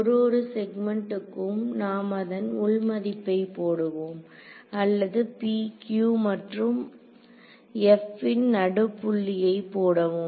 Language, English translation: Tamil, For each segment we just put in the value or the midpoint of p q and f